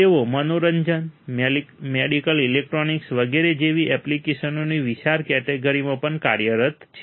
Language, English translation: Gujarati, They are also employed in wide range of application such as entertainment, medical electronics etc